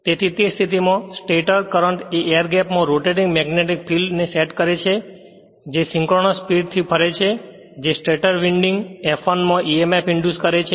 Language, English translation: Gujarati, So, so in that case the stator current set up a rotating magnetic field in the air gap which runs at synchronous speed inducing emf in the stator winding that is your F1 I showed you